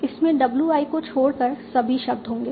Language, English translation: Hindi, It will continue all the words except WI